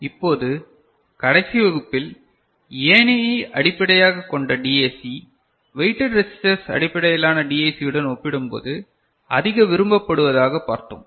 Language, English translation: Tamil, Now, in the last class, towards the end we had seen that the ladder based DAC, which is more preferred compared to weighted resistor based DAC